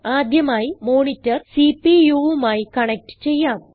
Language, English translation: Malayalam, First, lets connect the monitor to the CPU